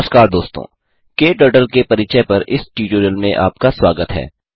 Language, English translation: Hindi, Welcome to this tutorial on Introduction to KTurtle